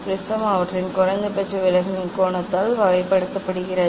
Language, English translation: Tamil, prism is characterised by their angle of minimum deviation